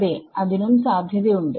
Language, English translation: Malayalam, The yes, that is also possible yes